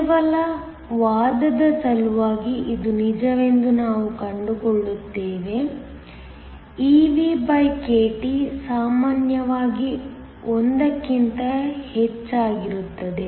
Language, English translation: Kannada, Just for the sake of argument and we will find out that it is true, evkT is usually much greater than 1